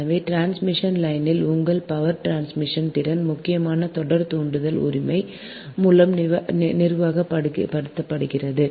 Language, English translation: Tamil, therefore this your power transmission capacity of the transmission line is mainly governed by the series inductance right